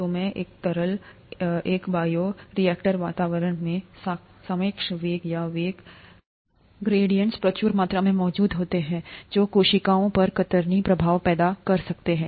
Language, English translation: Hindi, So, in a fluid environment as in a bioreactor relative velocities, or velocity gradients exist in abundance, which can cause, which can cause shear effects on cells